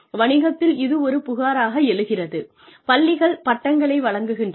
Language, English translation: Tamil, Businesses complain that, schools award degrees